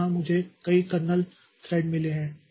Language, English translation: Hindi, So, here I have got multiple kernel threads